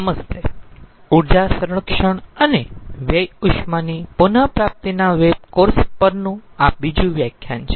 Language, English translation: Gujarati, this is the second lecture on the web course on energy conservation and waste heat recovery